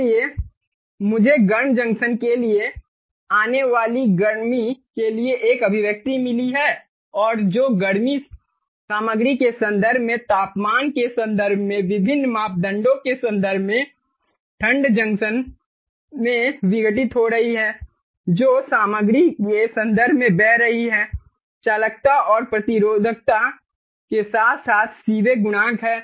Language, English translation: Hindi, so i have got an expression for the heat that is coming to the hot junction and the heat that is being dissipated in the cold junction, in terms of various parameters, in terms of temperatures, in terms of the current that is flowing, in terms of the material properties, like the conductivity and resistivity, as well as the seebeck coefficient, clear